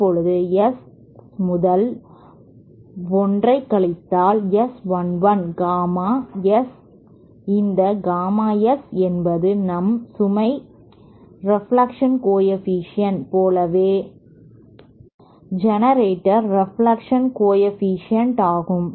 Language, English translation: Tamil, Now since S upon 1 minus S 1 1 gamma S that this gamma S is the generator reflection coefficient just like the load reflection coefficient we also have the generator reflection coefficient